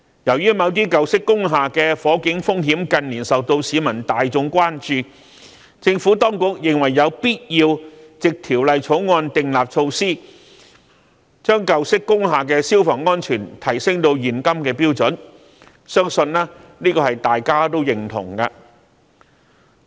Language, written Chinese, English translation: Cantonese, 由於某些舊式工廈的火警風險近年受到市民大眾關注，政府當局認為有必要藉《條例草案》訂立措施，將舊式工廈的消防安全提升至現今的標準，相信這是大家也認同的。, In the light of the rising public concern over fire risks at certain old industrial buildings in recent years the Administration considers it necessary to introduce measures through the Bill to bring the fire safety standards of old industrial buildings up to date I believe that we all agree with this